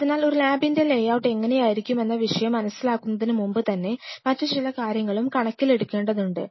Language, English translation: Malayalam, So, you realize even much before I hit upon the topic of the how the layout of a lab will be, there are other things which one has to take into account